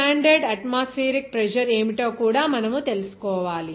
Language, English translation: Telugu, You have to know also what is the standard atmospheric pressure